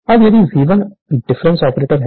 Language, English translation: Hindi, Now, if V 1 it is difference operator